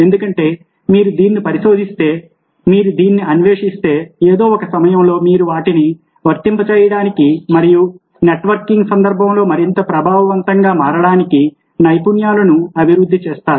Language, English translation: Telugu, here is the answer: because if you research this, if you explore this, and at some point of time you will develop skills for applying them and becoming more influences in the context of networking